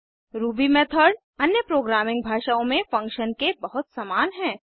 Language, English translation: Hindi, Ruby method is very similar to functions in any other programming language